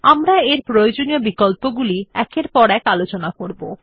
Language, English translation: Bengali, It has useful options which we will discuss one by one